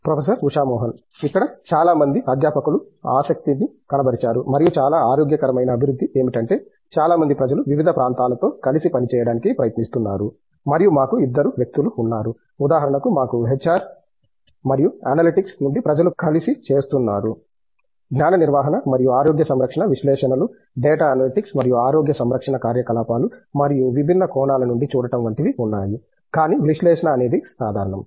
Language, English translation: Telugu, Where a lot of faculty have found interest and some very healthy development is lot of people are trying to integrate among areas and we have people who are from two, for example, we have people from HR and analytics coming together to come up with something and say, knowledge management and things like that we do have health care analytics, data analytics and health care operations wise and looking at it from different dimensions, but analytics means the (Refer Time: 06:30)